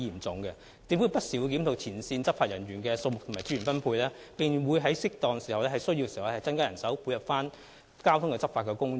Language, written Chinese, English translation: Cantonese, 政府不時會檢討前線執法人員的數目及資源分配，在適當時候及在有需要時配合交通執法工作。, The Government will review the number of frontline law enforcement officers and deployment of resources from time to time and tie in with traffic enforcement work when appropriate and if the circumstances so warranted